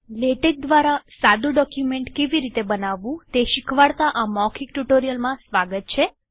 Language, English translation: Gujarati, Welcome to this spoken tutorial on how to create a simple document using LaTeX